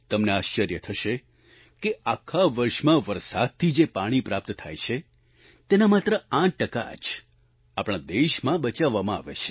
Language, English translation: Gujarati, You will be surprised that only 8% of the water received from rains in the entire year is harvested in our country